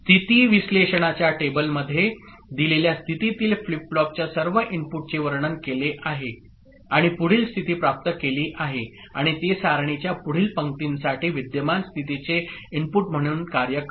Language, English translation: Marathi, In the state analysis table, all inputs of the flip flop at a given state is described and next state is obtained and that serves as the input for current state for the next row of the table